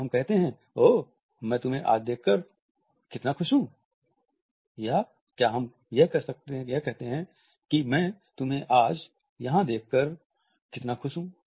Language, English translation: Hindi, Do we say, oh how happy I am to see you here today or do we say it how happy I am to see you here today